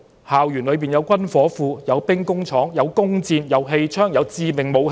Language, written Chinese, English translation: Cantonese, 校園裏有軍火庫、兵工廠、弓箭、氣槍、致命武器。, There were weapon factories bows and arrows air guns and lethal weapons on the campuses